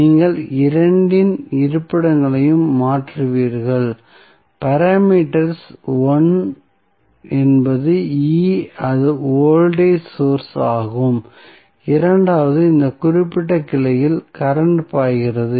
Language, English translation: Tamil, So, how you will replace you will just switch the locations of both of the, the parameters 1 is E that is voltage source and second is current flowing in this particular branch